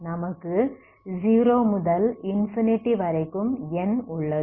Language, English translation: Tamil, So you have n is from 0 to infinity